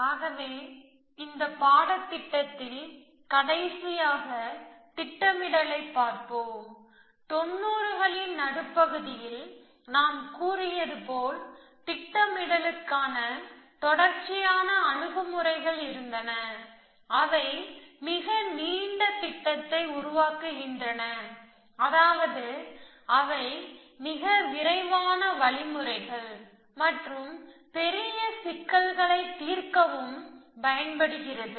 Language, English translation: Tamil, So, let us for the last time this in this course look at planning and so as I said in the mid nineties, there were a series of approaches to planning which produce much longer plan, which means, they were much faster algorithms and could the solve larger problems